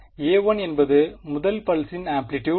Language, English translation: Tamil, So, a 1 is the amplitude of the first pulse